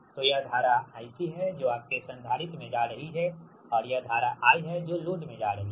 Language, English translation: Hindi, so this is the i c, that is current going to your capacitor and this is the current i going to the load, right